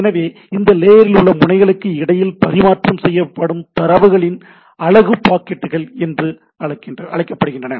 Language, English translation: Tamil, So, unit of data exchanged between nodes in this layer are called packets